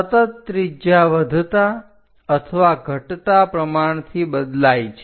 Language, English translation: Gujarati, Continuously, radius is changing increasing or decreasing proportionately